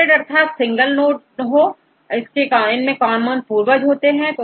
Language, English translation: Hindi, So, rooted tree a single node is designated as a common ancestor